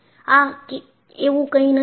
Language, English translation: Gujarati, This is not so